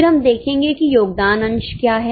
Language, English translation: Hindi, Then we will see what is a contribution margin